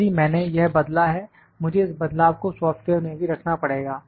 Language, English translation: Hindi, If, I have made this change, I have to put this change in the software as well